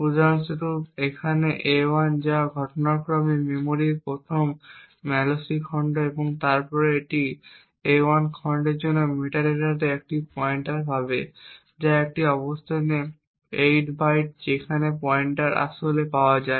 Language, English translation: Bengali, For example a1 over here which incidentally is the first malloc chunk of memory and then it would obtain a pointer to the metadata for a1 chunk which is at a location 8 bytes from where the pointer is actually obtained